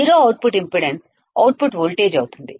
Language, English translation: Telugu, Zero output impedance will be the output voltage